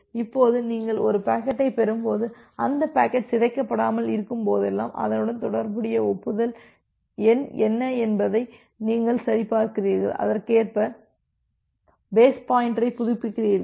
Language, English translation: Tamil, Now whenever you are getting a packet and that packet is not corrupted, in that case you are checking that what is the corresponding acknowledgement number and you are updating the base pointer accordingly